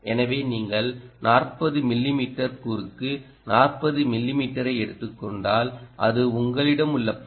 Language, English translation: Tamil, so if you take forty mm, cross forty mm, ok, that is your area